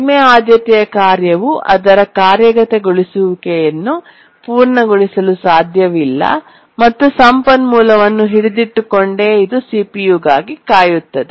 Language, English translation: Kannada, The low priority task cannot complete its execution, it just keeps on holding the resource and waits for the CPU